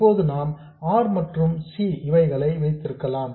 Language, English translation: Tamil, Now we can have R and C